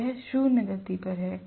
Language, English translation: Hindi, It is at zero speed